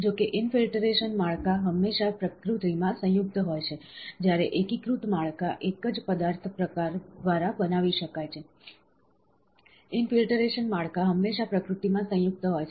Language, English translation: Gujarati, However infiltrated structures are always composite in nature, whereas consolidated structures can be made by a single material type, infiltrated structures are always composite in nature